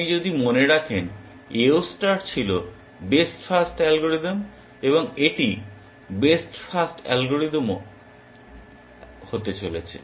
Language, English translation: Bengali, AO star was the best first algorithm if you remember and this is also going to be the best first algorithm